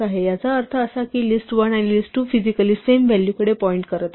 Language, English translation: Marathi, So, this means that list1 and list2 are pointing to the same value physically